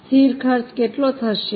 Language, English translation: Gujarati, How much will be the fixed costs